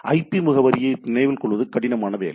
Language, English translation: Tamil, Now, remembering IP address is the tedious job right